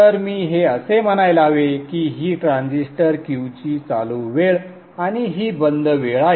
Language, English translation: Marathi, So I should say this is the on time of the transistor and this is the off time of the transistor cube